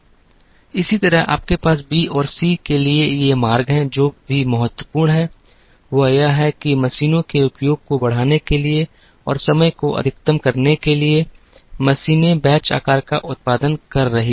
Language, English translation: Hindi, Similarly, you have these routes for B and C, what is also important is that, in order to increase the utilization of the machines and in order to maximize the time, the machines were producing the batch sizes were large